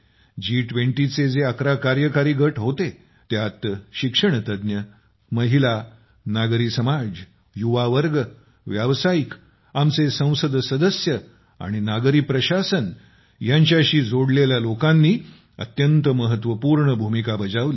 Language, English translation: Marathi, Among the eleven Engagement Groups of G20, Academia, Civil Society, Youth, Women, our Parliamentarians, Entrepreneurs and people associated with Urban Administration played an important role